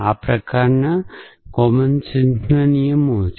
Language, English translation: Gujarati, So, these are kind of commonsense rules